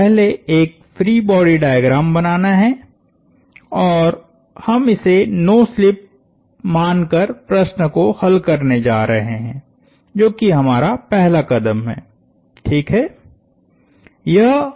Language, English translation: Hindi, So, the first step is to draw a free body diagram and we are going to solve the problem assuming no slip that is our first step